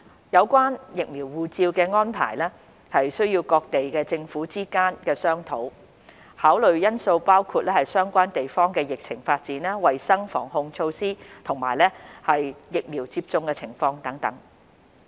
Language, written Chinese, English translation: Cantonese, 有關"疫苗護照"的安排需要各地政府之間商討，考慮因素包括相關地方的疫情發展、衞生防控措施，以及疫苗接種情況等。, Arrangements regarding vaccination passport requires discussions between the governments of different places and factors such as epidemic development health control and prevention measures and vaccination progress of the relevant places etc . will be taken into consideration